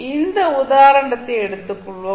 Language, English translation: Tamil, We will take this example